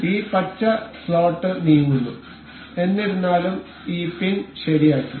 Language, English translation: Malayalam, So, this green slot is moving however this pin is fixed